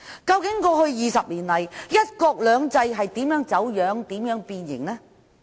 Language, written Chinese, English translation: Cantonese, 究竟過去20年來，"一國兩制"如何走樣和變形？, Over the past 20 years how has the implementation of one country two systems been distorted and deformed?